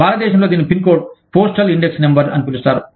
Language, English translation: Telugu, In India, it is known as, the pin code, postal index number